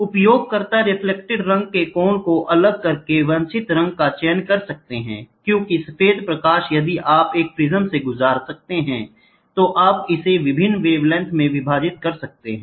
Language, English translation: Hindi, The user can select the desired color by varying the angle of the reflecting face because white light if you can pass through a prism you can divide it into various wavelength